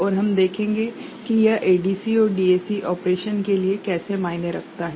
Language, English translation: Hindi, And we shall see how it matters for ADC and DAC operation